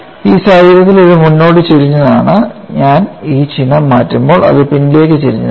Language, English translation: Malayalam, In this case it is forward tilted when I just change this sign it is backward tilted